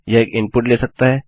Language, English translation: Hindi, It can take an input